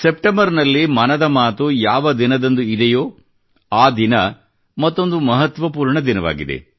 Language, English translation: Kannada, The day of Mann Ki Baat this September is important on another count, date wise